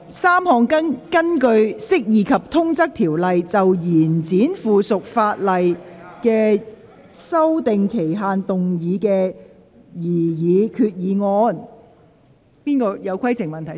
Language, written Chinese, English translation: Cantonese, 三項根據《釋義及通則條例》，就延展附屬法例的修訂期限動議的擬議決議案。, Three proposed resolutions under the Interpretation and General Clauses Ordinance in relation to the extension of the period for amending subsidiary legislation